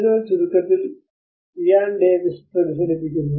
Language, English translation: Malayalam, So that is where in short summary Ian Davis reflects